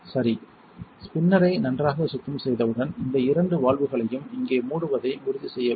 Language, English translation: Tamil, Alright, so once the spinner has been cleaned thoroughly you want to make sure you close these two valves over here